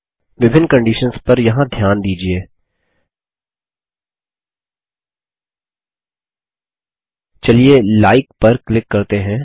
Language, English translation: Hindi, Notice the various conditions here Let us click on Like